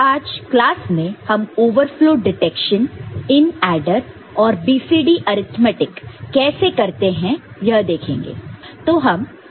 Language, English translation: Hindi, And in today’s class we shall discuss Overflow Detection in adder and also, how to perform BCD Arithmetic